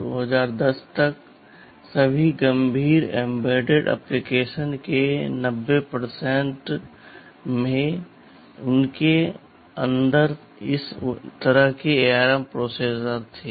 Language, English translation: Hindi, Till 2010, 90 percent % of all serious embedded applications hads this kind of ARM processors inside them